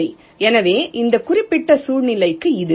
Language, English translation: Tamil, ok, alright, so this is for this particular scenario